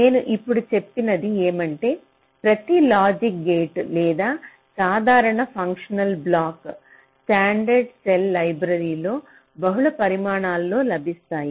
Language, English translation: Telugu, ok, so what i have just now mentioned is that each logic gate, or the simple functional blocks which are supposed to be there in a standard cell library, are available in multiple sizes